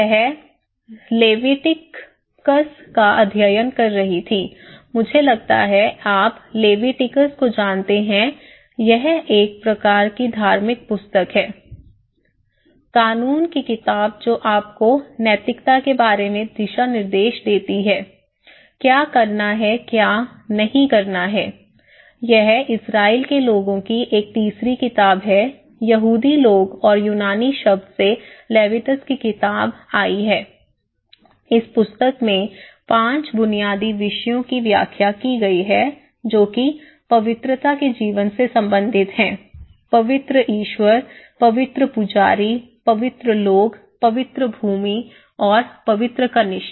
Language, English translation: Hindi, She was studying Leviticus, I think you know Leviticus, itís a kind of religious book; law book that gives you guidelines about the morals; what to do, what not to do, what do it okay, so this is a third book of the Israeli people, the Jews people and the book of the Leviticus from the Greek word it has came, the book explained the five basic themes that relate to the life of holiness, okay, a holy God, a holy priesthood, a holy people, a holy land and a holy saviour